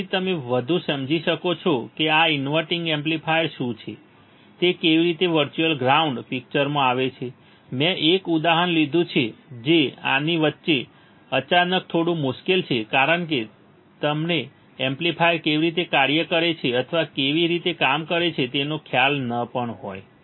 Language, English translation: Gujarati, So, that you can understand further of what is this inverting amplifier how the virtual ground come into picture I took an example which is little bit tricky suddenly in middle of this because you may or may not have idea of how exactly operational amplifier works or how the inverting amplifier works or how the virtual grounds comes into picture